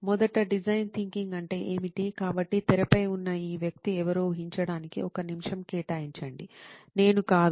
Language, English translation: Telugu, First of all what is design thinking, so just take a minute to guess who this person on the screen is, not me